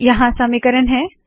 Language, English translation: Hindi, And I have written this equation here